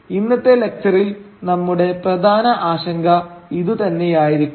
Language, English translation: Malayalam, And in today’s lecture this is going to be our main concern